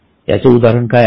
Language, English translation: Marathi, What is an example